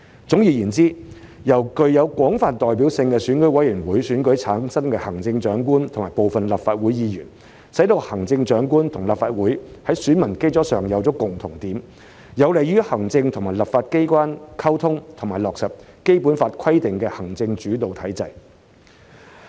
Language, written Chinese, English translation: Cantonese, 總而言之，由具有廣泛代表性的選委會選舉產生行政長官和部分立法會議員，使行政長官和立法會在選民基礎上有共同點，有利於行政和立法機關溝通及落實《基本法》規定的行政主導體制。, In gist the election of the Chief Executive and some Members of the Legislative Council by the broadly representative EC has provided a common ground for the Chief Executive and the Legislative Council in terms of their electorate basis which will be conducive to the communication between the executive and the legislature and the implementation of the executive - led structure stipulated in the Basic Law